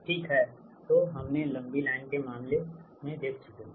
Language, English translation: Hindi, ok, so we have seen that for the long line case